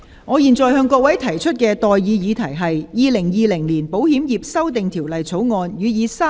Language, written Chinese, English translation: Cantonese, 我現在向各位提出的待議議題是：《2020年保險業條例草案》予以三讀並通過。, I now propose the question to you and that is That the Insurance Amendment Bill 2020 be read the Third time and do pass